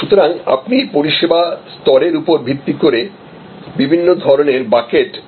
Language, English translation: Bengali, So, these are as you see based on service level you can create different kinds of buckets